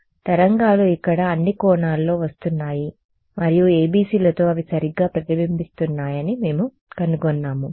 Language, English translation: Telugu, So, waves are coming at all angles over here and we are finding that with ABC’s they get reflected ok